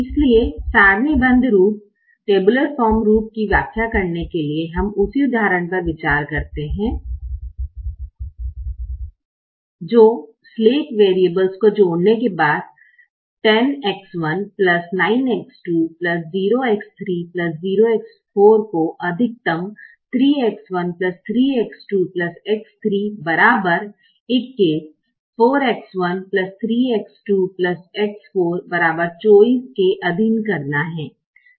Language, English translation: Hindi, so to explain the tabular form, we consider the same example which, after the addition of the slack variables, is to maximize: ten x one plus nine x two plus zero x three, zero x four, subject to three x one plus three x two plus x three equals twenty one